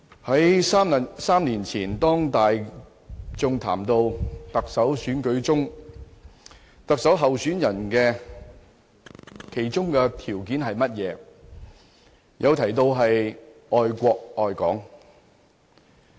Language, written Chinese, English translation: Cantonese, 主席，在3年前，當大眾談論到特首選舉特首候選人的條件為何，有人提到要愛國愛港。, President when people were talking about the various prerequisites of candidates in the Chief Executive Election three years ago someone put forth the criteria of love for both the country and Hong Kong